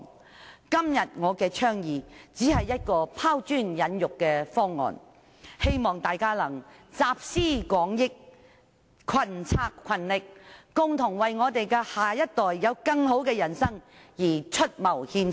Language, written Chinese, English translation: Cantonese, 我今天的倡議只是一項拋磚引玉的方案，希望大家能集思廣益，群策群力，共同為下一代有更美好的人生而出謀獻策。, I deeply believe that the baby fund can definitely bring hope to our next generation . My advocacy today merely seeks to throw a sprat to catch a mackerel . I hope Members can draw on collective wisdom make concerted efforts and think up suggestions to enable the next generation to enjoy a better life